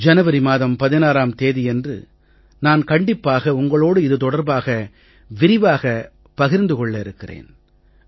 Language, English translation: Tamil, I will definitely interact with you on 16th January and will discuss this in detail